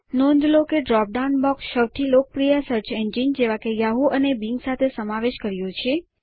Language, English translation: Gujarati, We notice that a drop down box appears with the logos of most popular search engines, including Yahoo and Bing